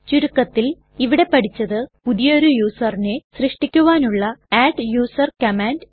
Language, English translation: Malayalam, To summarise, we have learnt: adduser command to create a new user